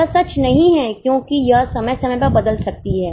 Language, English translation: Hindi, It is not true because it can change from time to time